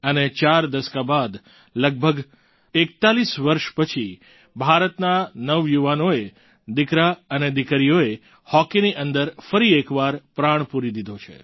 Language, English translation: Gujarati, And four decades later, almost after 41 years, the youth of India, her sons and daughters, once again infused vitality in our hockey